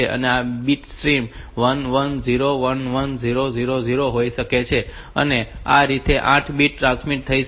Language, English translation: Gujarati, So, bit stream may be 1 1 0 1 1 0 0 0 this may be the 8 bits transmitted